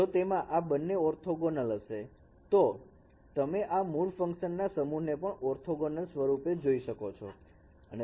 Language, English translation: Gujarati, So, and also if both of them are orthogonal, then you can see that this set of basis functions will be also orthogonal